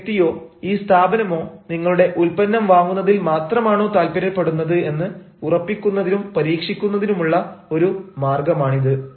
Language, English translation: Malayalam, maybe this is one way to test, this is one way to ensure that this ah person or this organization is interested in buying only your product